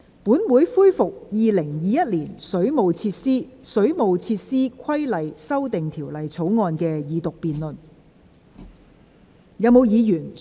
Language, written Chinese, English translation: Cantonese, 本會恢復《2021年水務設施條例草案》的二讀辯論。, This Council resumes the Second Reading debate on the Waterworks Amendment Bill 2021